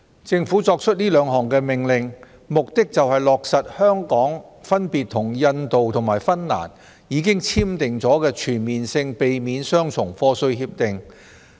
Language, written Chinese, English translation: Cantonese, 政府作出兩項命令，目的是落實香港分別與印度及芬蘭已簽訂的全面性避免雙重課稅協定。, The introduction of the two orders by the Government seeks to implement the Comprehensive Avoidance of Double Taxation Agreements which Hong Kong has entered into with India and Finland